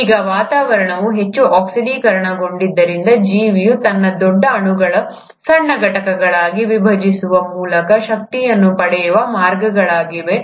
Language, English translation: Kannada, Now, if the atmosphere has become highly oxidized, there are still ways by which the organism has to derive energy by breaking down it's larger molecules into smaller entities